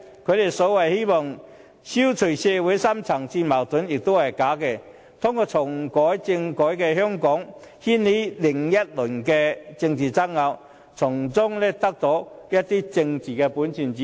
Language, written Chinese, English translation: Cantonese, 他們說希望消除社會深層次矛盾也是假的，真正用意其實在於通過重啟政改在香港掀起另一輪政治爭拗，再從中掙得一些政治本錢。, Meanwhile they do no sincerely mean to eliminate the deep - rooted social conflicts even though they claim that it is their hope . Their real intention is in fact to gain some political capital by means of reactivating constitutional reform in order to set off another round of political disputes